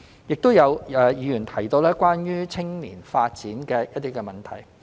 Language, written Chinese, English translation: Cantonese, 亦有議員提到關於青年發展的一些問題。, Besides some issues related to youth development have also been raised by some Members